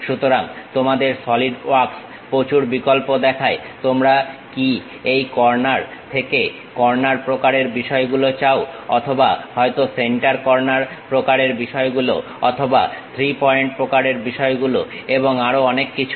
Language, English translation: Bengali, So, your Solidwork shows variety of options whether you want this corner to corner kind of thing or perhaps center corner kind of things or 3 point kind of things and many more